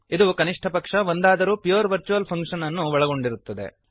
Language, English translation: Kannada, It contains at least one pure virtual function